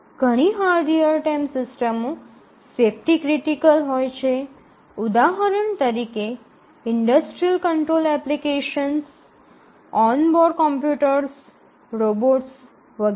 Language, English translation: Gujarati, And many hard real time systems are safety critical for example, the industrial control applications, on board computers, robots etcetera